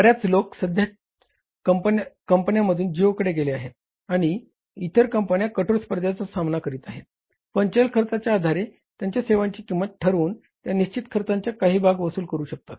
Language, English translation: Marathi, Many people have shifted from the existing companies to geo and other companies, though they are striving but facing steep competition, but it may be possible that they are again now pricing their services based upon the variable cost and recovering only the part of the fixed cost